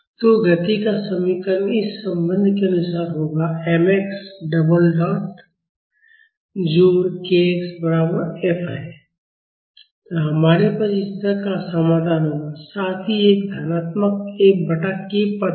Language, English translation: Hindi, So, the equation of motion will be as per this relation m x double dot plus k x is equal to F; and we will have the solution like this, plus a positive F by k term